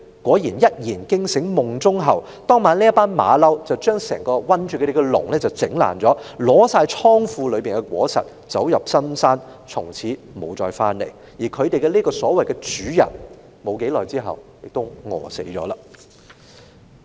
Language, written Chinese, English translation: Cantonese, "小猴子一言驚醒夢中猴，當晚這群猴子便把困住牠們的籠子毀爛，取去倉庫裏面的所有果實，走入深山，從此不再回來，而牠們這個所謂的主人沒多久亦餓死了。, The monkeys broke the cages which encircled them that evening took all the fruits from the warehouse went into a mountain and never came back . And this so - called master died of starvation soon afterwards